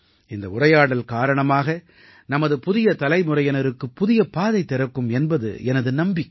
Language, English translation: Tamil, I am sure that this conversation will give a new direction to our new generation